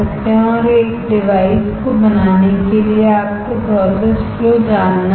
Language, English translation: Hindi, And for fabricating a device you should know the process flow